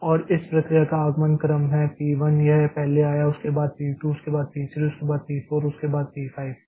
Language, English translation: Hindi, And the arrival order of this processes is p 1 came first followed by p 2 followed by p 3 followed by p 4 followed by p 5